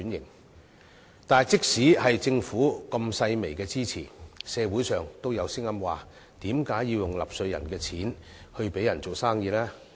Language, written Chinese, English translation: Cantonese, 可是，即使政府提供這樣細微的支持，社會上亦有聲音質疑為何要用納稅人的錢給商人用來做生意。, That said even though the Government has provided such meagre support there are still voices in society questioning why taxpayers money should be given to businessmen for them to do business